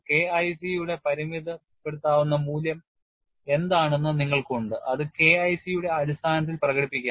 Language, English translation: Malayalam, And you also have what is the limiting value of K2 c which could be expressed in terms of K1 c